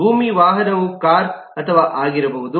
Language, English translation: Kannada, a land vehicle could be car or bus